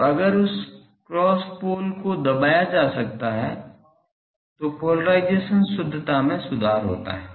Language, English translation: Hindi, So, if that cross poles can be suppressed, then the purity polarization purity improves